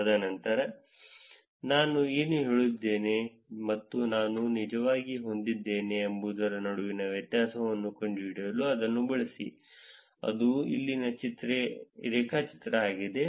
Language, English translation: Kannada, And then use it for finding the difference between what did I say and what I actually have, that is the graph here